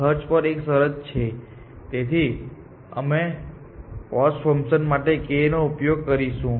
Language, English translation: Gujarati, There is a condition on the cost; so we will use k for cost function